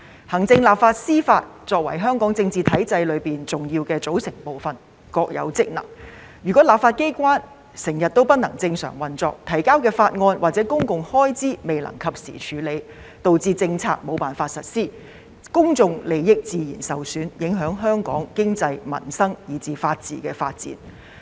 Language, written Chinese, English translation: Cantonese, 行政、立法和司法作為香港政治體制中重要的組成部分，各有職能，如果立法機關經常無法正常運作，政府提交的法案或有關公共開支的撥款申請未能及時處理，導致政策無法實施，公眾利益自然會受損，影響香港的經濟、民生及法治發展。, The executive authorities the legislature and the judiciary being the integral parts forming the political regime of Hong Kong have their respective duties and functions . If the legislature cannot operate normally so that the bills or funding applications related to public expenditure cannot be dealt with on time and thus the policies cannot be implemented public interests will naturally be undermined and the development of the economy peoples livelihood and the rule of law in Hong Kong will be affected